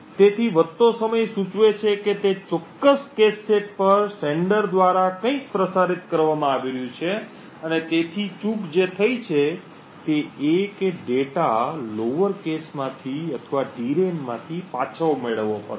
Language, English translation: Gujarati, So the increased time would indicate that there is something being transmitted by the sender on that particular cache set and therefore a miss has occurred the data has to be retrieved from the lower cache or from the DRAM